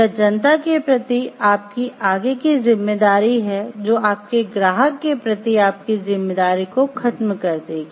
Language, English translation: Hindi, Or it is your further deeper responsibility towards the public at large which will override your responsibility towards your client